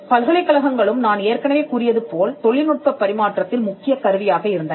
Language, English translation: Tamil, Now, universities also as I said where instrumental in transferring technology